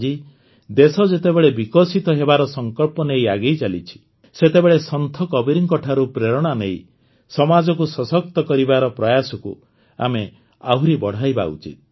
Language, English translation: Odia, Today, when the country is moving forward with the determination to develop, we should increase our efforts to empower the society, taking inspiration from Sant Kabir